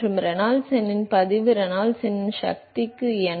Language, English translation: Tamil, And log of Reynolds number Reynolds number to the power of n